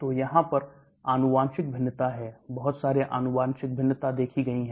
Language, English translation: Hindi, So there is genetic variation, a lot of genetic variation that has been seen